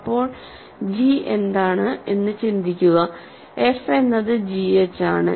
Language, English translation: Malayalam, So, now, think of what g is remember, f is g h